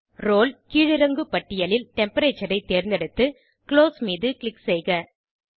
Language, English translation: Tamil, In the Role drop down, select Temperature and click on Close